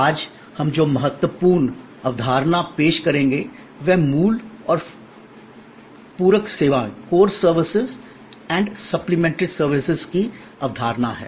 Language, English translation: Hindi, The important concept that we will introduce today is this concept of Core Service and Supplementary Services